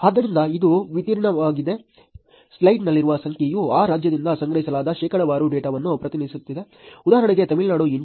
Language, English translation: Kannada, So, this is the distribution, the number in the slide represents the percentage of data that was collected from that state, for example, Tamil Nadu has 8